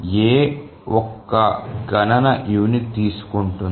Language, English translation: Telugu, So, A takes one unit of computation